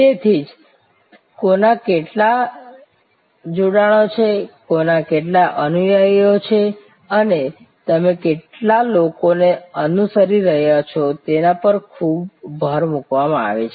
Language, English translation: Gujarati, So, that is why there is so much of emphasize on who has how many connections, who has how many followers and how many people are you following